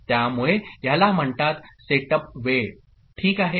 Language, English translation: Marathi, So, this is called setup time ok